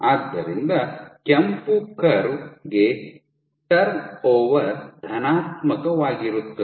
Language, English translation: Kannada, So, the red curve, the turnover is positive